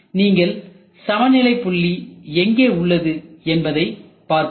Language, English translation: Tamil, So, you have to see where is the breakeven point